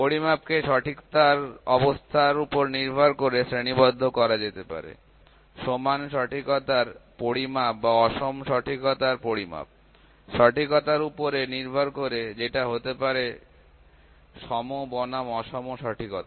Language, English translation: Bengali, Measurement can be classified based upon the state of accuracy; measurement of equal accuracy or measurement of unequal accuracy, based upon accuracy that can be equal versus unequal accuracy